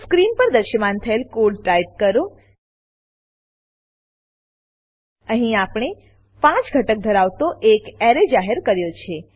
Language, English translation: Gujarati, Type the following piece of code, as shown on the screen Here we have declared amp defined an array which contains 5 elements